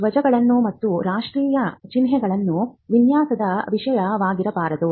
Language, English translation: Kannada, Flags, emblems and national symbols cannot be a subject matter of design right